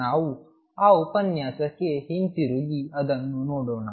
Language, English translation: Kannada, Let us go back to that to that lecture and see it